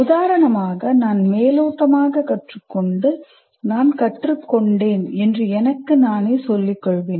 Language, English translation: Tamil, For example, I can superficially learn and claim to myself that I have learned